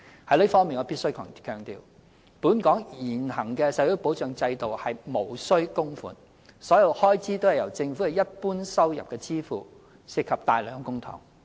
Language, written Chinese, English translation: Cantonese, 就此，我必須強調，本港現行的社會保障制度無須供款，所有開支均由政府的一般收入支付，涉及大量公帑。, So far as this is concerned I must stress that the existing social security system in Hong Kong is non - contributory and wholly funded by the Governments general revenue